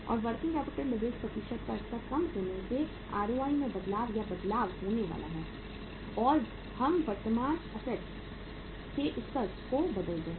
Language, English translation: Hindi, And lower the level of working capital leverage percentage lower is going to be the change or the change in the ROI as we change the level of current assets